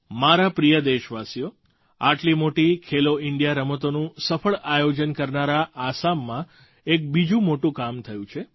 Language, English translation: Gujarati, My dear countrymen, Assam, which hosted the grand 'Khelo India' games successfully, was witness to another great achievement